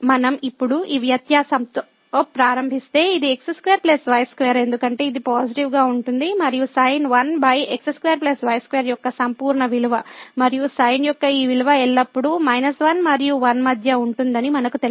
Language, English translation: Telugu, If we start with this difference now, this is square plus square because this is going to be positive and the absolute value of sin 1 over x square plus y square and we know that that this value of sin always lies between minus 1 and 1